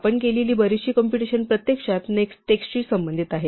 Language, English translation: Marathi, A lot of the computation we do is actually dealing with text